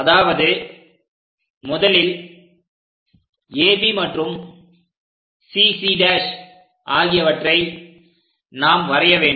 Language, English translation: Tamil, First, we have to draw AB and CC prime also we have to draw